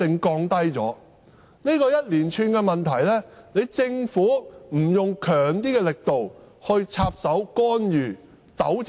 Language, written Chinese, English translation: Cantonese, 對於這一連串的問題，政府不得不採取較強的力度來插手干預和糾正。, With regard to the series of problems the Government must make vigorous efforts to intervene and correct them